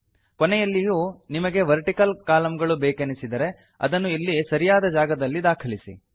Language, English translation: Kannada, If you want vertical lines at the end also, put them at appropriate places